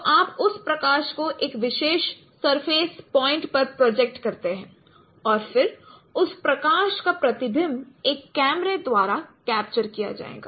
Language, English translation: Hindi, So, you project that light on a particular surface point and then the reflection of that light will be captured by a camera